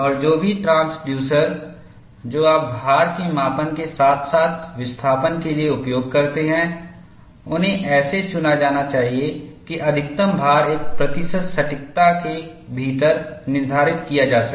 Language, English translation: Hindi, And, whatever the transducers that you use for measurement of load, as well as the displacement, they are to be selected such that, maximum load can be determined within 1 percent accuracy